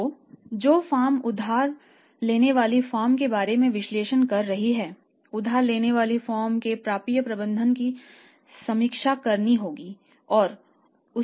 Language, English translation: Hindi, So, the firm who is making analysis about the borrowing firm of potential or say prospective borrowing firm, the borrowing firms receivables management has to be reviewed and has to be analysed